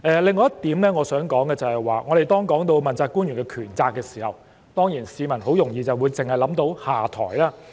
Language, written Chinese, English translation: Cantonese, 另外一點我想說的是，當我們談及問責官員的權責問題時，市民很容易會聯想到下台。, There is another point I wish to bring up . When we talk about the powers and responsibilities of the principal officials people will easily associate this with the stepping down of principal officials